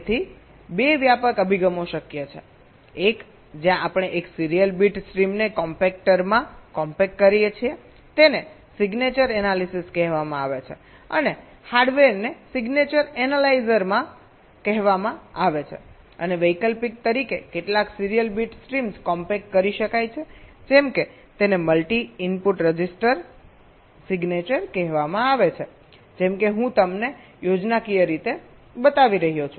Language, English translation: Gujarati, so two broad approaches are possible: one where we compact a single serial bit stream into a compactor this is called signature analysis and the hardware is called signature analyzer and as an alternative, several serial bit streams can be compacted like